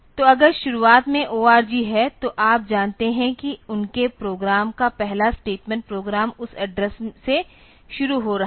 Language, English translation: Hindi, So, if the org is there at the beginning; so, you know that their program the first statement of the program is starting from that address